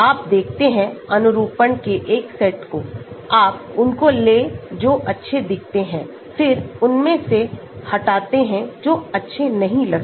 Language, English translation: Hindi, You look at a set of conformations, you take those which look good, then eliminate the ones which does not look good